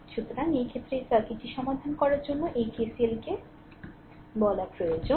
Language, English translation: Bengali, So, in this case what you call a this KCL is needed, for solving this circuit